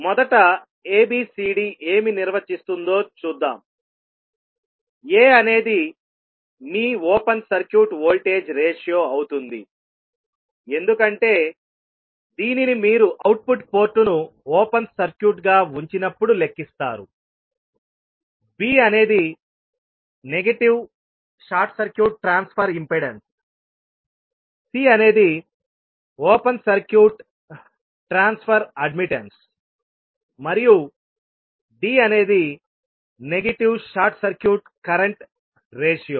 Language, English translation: Telugu, First let us see what ABCD defines; A will be your open circuit voltage ratio because this you calculate when you keep output port as open circuit, B is negative short circuit transfer impedance, C is open circuit transfer admittance and D is again negative short circuit current ratio